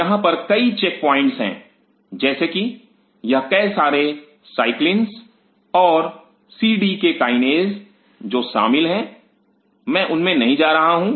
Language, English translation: Hindi, There are several chip points here as this several cyclins and cdk kinases which are involved I am not getting in into those